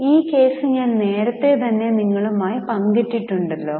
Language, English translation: Malayalam, So, I have already shared with you the case